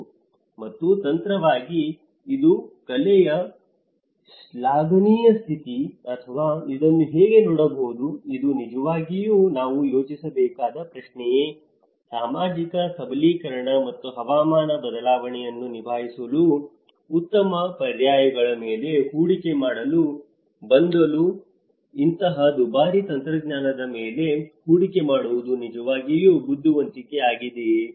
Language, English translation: Kannada, Yes technologically, it is a very state of art; appreciative state of the art, but how one can look at this, is it really the question we have to think about, is it really wise to invest on such expensive technology rather to invest on social empowerment and better alternatives for coping to the climate change so, this is some of the brainstorming understanding one can take on their own call